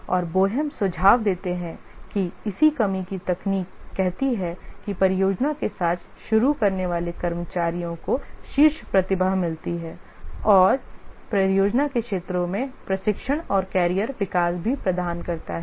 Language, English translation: Hindi, And Bohem suggests the corresponding reduction technique says that staff to start with the project get the top talent and also in the areas of the project provide training and career development